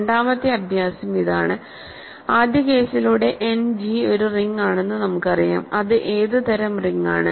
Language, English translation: Malayalam, The second exercise is to show that now that by first exercise we know that End G is a ring, what kind of ring is it